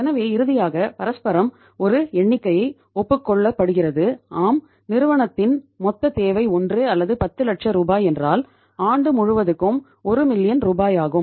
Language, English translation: Tamil, So finally mutually a figure is agreed upon that yes the total requirement of the firm is say 1 or 10 lakh rupees, 1 million rupees for a period of whole of the year